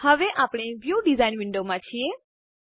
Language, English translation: Gujarati, Now, we are in the View design window